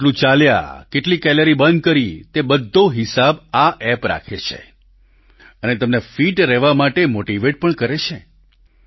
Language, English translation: Gujarati, This is a fitness app and it keeps a track of how much you walked, how many calories you burnt; it keeps track of the data and also motivates you to stay fit